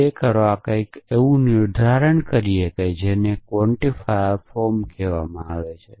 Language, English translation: Gujarati, To do that we define something in what is called an implicit quantifier form